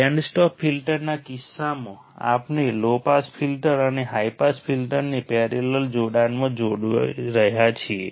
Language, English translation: Gujarati, In case of band stop filter, we are connecting low pass filter and high pass filter, but in the parallel connection ok